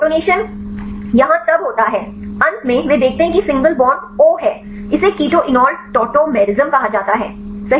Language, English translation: Hindi, So, this protonation happen here then finally, they see the single bond is OH, this is called the keto enol tautomerism right